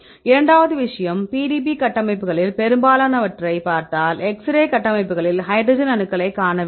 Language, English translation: Tamil, Second thing is most of the PDB structures if you see, the hydrogen atoms are missing mainly in the case of x ray structures